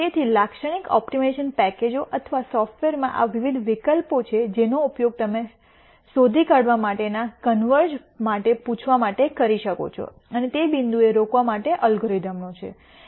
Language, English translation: Gujarati, So, in typical optimization packages or software there are these various options that you can use to ask for convergence to be detected and the algorithm to stop at that point